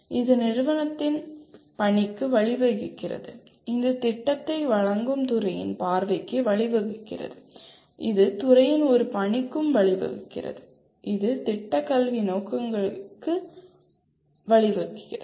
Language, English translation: Tamil, It leads to mission of the institute together lead to vision of the department which is offering the program and that leads to a mission of the department and this leads to Program Educational Objectives